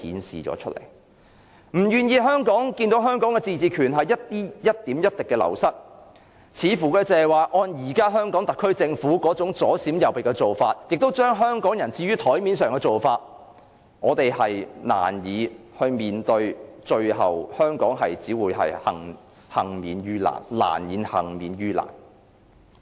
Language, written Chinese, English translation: Cantonese, 如果不願意看到香港的自治權一點一滴地流失，按現時香港特區政府左閃右避、把香港人置於檯面的做法，香港最後只會難以幸免於難。, We do not wish to see Hong Kongs autonomy slip away but with the Governments evasive approach and putting Hong Kong people on the spot there is little chance that Hong Kong can be spared